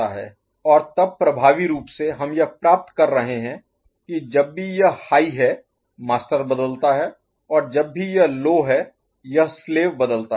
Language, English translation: Hindi, And effectively then we are getting that whenever it goes it was high master has changed whenever it has gone low this slave is changing ok